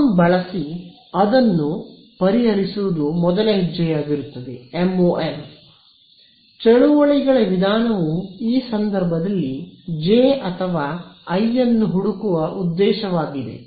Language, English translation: Kannada, So, what would be the first step over to solve it using MoM; the Method of Movements objective is to find J or I in this case